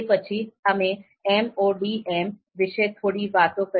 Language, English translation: Gujarati, Then we talked a bit about MODM as well